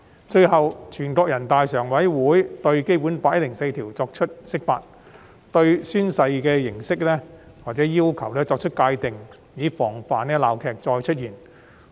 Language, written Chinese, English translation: Cantonese, 最後，全國人民代表大會常務委員會對《基本法》第一百零四條作出釋法，界定宣誓形式或要求，防止鬧劇再次發生。, At last the Standing Committee of the National Peoples Congress took action and made an interpretation of Article 104 of the Basic Law defining the oath - taking forms or requirements to prevent recurrence of political farces